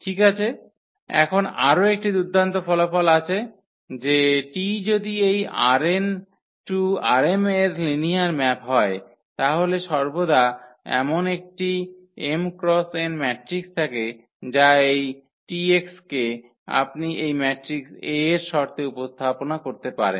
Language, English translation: Bengali, Well, so now, there is another nice result that if T is a linear map from this R n to R m T is a linear map from R n to R m then there is an always m cross n matrix a such that this T x you can represent in terms of this matrix A